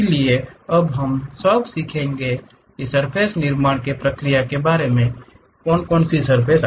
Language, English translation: Hindi, So, now we will learn a we will have some idea about these surface construction procedure step by step